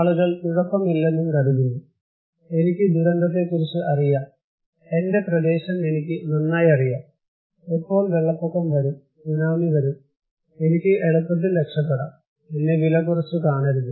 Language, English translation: Malayalam, People think okay, I know about disaster, I know my area very well so, when the flood will come, tsunami will come, I can easily escape, do not underestimate me